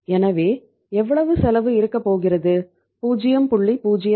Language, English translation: Tamil, So how much cost is going to be there, 0